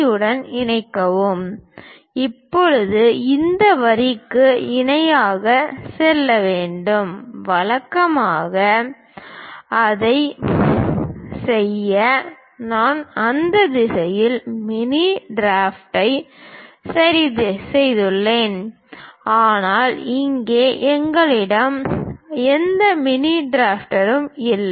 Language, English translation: Tamil, Now, we have to go parallel to this line; usually, we have mini drafter adjusted in that direction to do that, but here we do not have any mini drafter